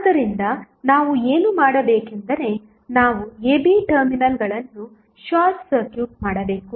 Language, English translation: Kannada, So, what we have to do we have to just short circuit the terminals AB